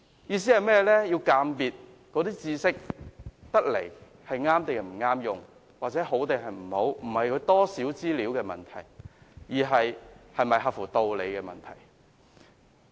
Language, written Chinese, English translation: Cantonese, "意思是我們鑒別知識是否適用，是好是壞，並非資料多寡的問題，而是合乎道理與否的問題。, It means that when we judge whether certain knowledge is suitable or not good or bad the answer lies not in the volume of information but in its reasonableness